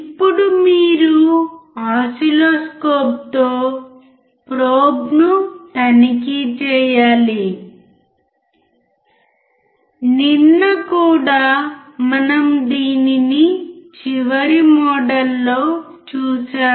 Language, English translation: Telugu, Now, you have to check the probe with the oscilloscope yesterday also we have seen this on the last model we have seen in this